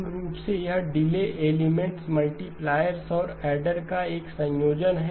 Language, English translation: Hindi, Basically it is a combination of delay elements multipliers and then the adder